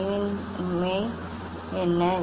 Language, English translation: Tamil, What is the ambiguity